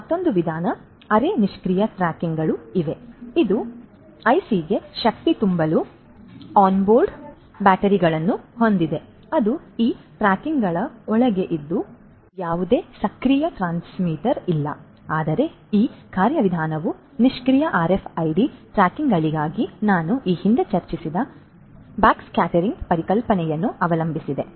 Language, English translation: Kannada, So, there are semi passive tags as well which has an onboard battery to power the IC, that is embedded that is inside these tags and there is no active transmitter, but this mechanism also relies on backscattering concept that I discussed previously for the passive RFID tags